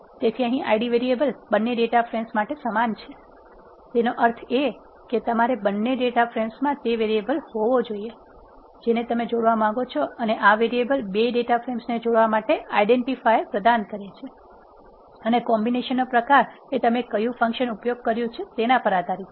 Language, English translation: Gujarati, So, here the I d variable is common to both data frames; that means, you have to have that variable in both data frames, which you want to combine and this variable provides the identifiers for combining the 2 data frames and the nature of combination depends upon the function that is being used